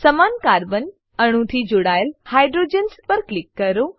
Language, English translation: Gujarati, Click on the hydrogens attached to the same carbon atom